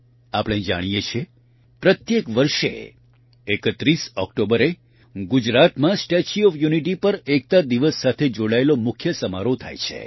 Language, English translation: Gujarati, We know that every year on the 31st of October, the main function related to Unity Day takes place at the Statue of Unity in Gujarat